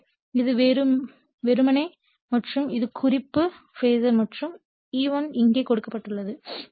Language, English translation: Tamil, So, this is simply and this is the ∅ the reference phasor right and E1 is given here